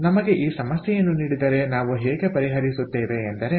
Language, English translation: Kannada, so if we are given this problem, how do we solve